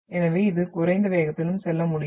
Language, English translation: Tamil, Hence it can go through with lesser speed also